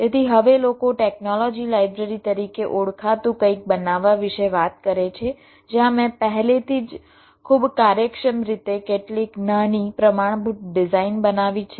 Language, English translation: Gujarati, so now people talk about creating something called ah technology library where some of the small standard designs i have already created in a very efficient way